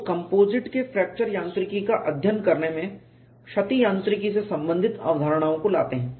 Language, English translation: Hindi, People bring in concepts related to damage mechanics into studying fracture mechanics of composites